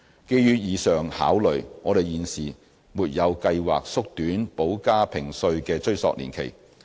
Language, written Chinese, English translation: Cantonese, 基於以上考慮，我們現時沒有計劃縮短補加評稅的追溯年期。, Given the above considerations we have no plan to shorten the retrospective period for additional assessments for the time being